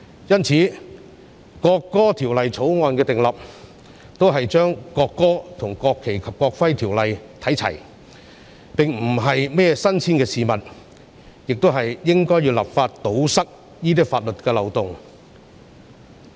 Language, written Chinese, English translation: Cantonese, 因此，訂立《條例草案》只是與《國旗及國徽條例》看齊，並非甚麼新鮮事，而我們亦應立法堵塞法律漏洞。, Hence the Bill was formulated merely to align with NFNEO . It is not anything novel . Moreover we should introduce legislation to plug the loopholes in law